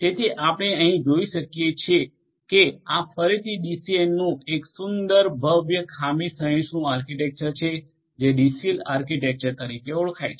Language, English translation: Gujarati, So, as you can see over here this is again a pretty elegant fault tolerant architecture of a DCN which is known as the DCell architecture